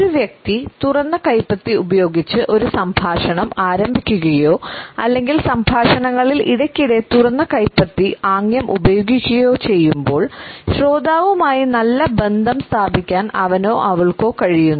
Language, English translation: Malayalam, When a person initiates a dialogue with open palm or uses the open palm gesture during the conversations frequently, he or she is able to establish a positive rapport with the listener